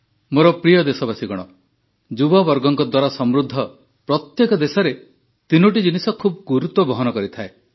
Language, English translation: Odia, My dear countrymen, in every country with a large youth population, three aspects matter a lot